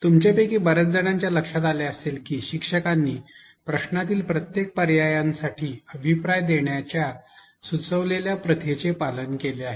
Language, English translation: Marathi, Many of you must have noticed that the teacher followed the recommended practice of giving feedback for each of the options in the question